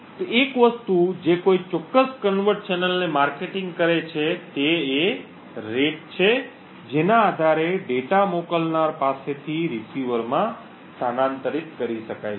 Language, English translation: Gujarati, So, one thing that de markets a particular covert channel is the rate at which data can be transferred from the sender to the receiver